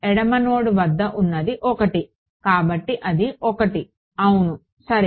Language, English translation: Telugu, Left its 1 at the left node so, it is therefore, 1 yes ok